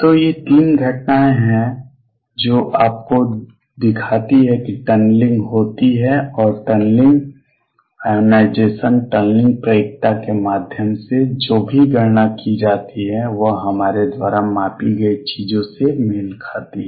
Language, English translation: Hindi, So, these are 3 phenomena with that show you that tunneling does take place and whatever calculations are done through tunneling ionization tunneling probability does match whatever we measure